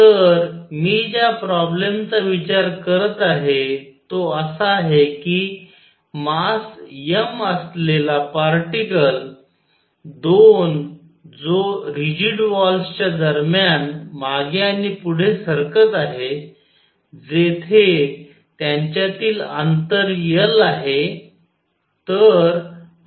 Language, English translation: Marathi, So, problem I am considering is that the particle of mass m that is moving back and forth between two rigid walls, where the distance between them is L